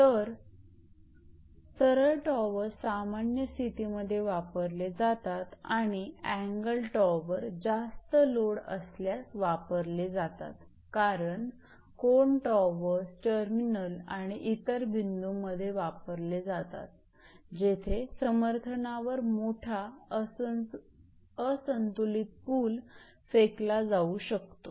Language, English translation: Marathi, So, the straight run towers are used for straight runs and normal conditions whereas, the angle towers are designed to withstand heavy loading as compared to the standard towers because angle towers are used in angles, terminals and other points where a large unbalanced pull may be thrown on the support